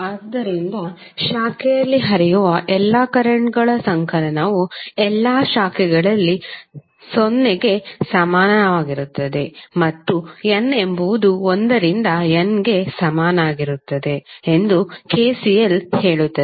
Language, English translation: Kannada, So KCL says that the summation of all the currents flowing in the branch, in all the branches is equal to 0 and the in that is the subscript for current is varying from n is equal to 1 to N